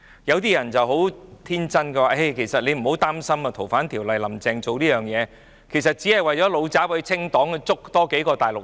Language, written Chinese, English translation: Cantonese, 有些人很天真地說，其實不用擔心，"林鄭"修訂《逃犯條例》，只是為了"老習""清黨"，要拘捕有關的大陸人。, Some people are very naïve . They say that we actually do not have to feel worried because the amendment to the Ordinance by Mrs Carrie LAM is for XI Jinping to purge Party members and he will only arrest the Mainlanders concerned